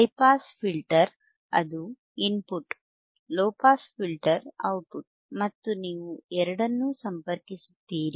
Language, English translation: Kannada, hHigh pass filter is their input, low pass filter is their output and you connect both of themboth